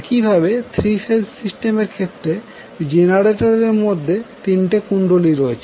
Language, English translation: Bengali, So, the same way in case of 3 phase system the generator will have 3 coils